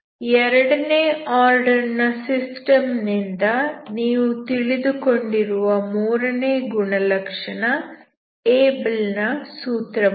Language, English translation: Kannada, the third property you learned from the second order system is Abel’s formula